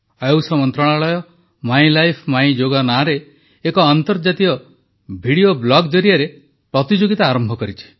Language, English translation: Odia, The Ministry of AYUSH has started its International Video Blog competition entitled 'My Life, My Yoga'